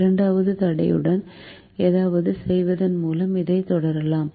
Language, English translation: Tamil, let us continue with this by doing something with the second constraint